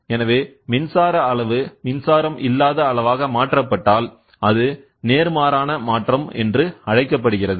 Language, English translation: Tamil, So, that is a direct if the electrical quantity is transformed into a non electrical quantity it is called as inverse transform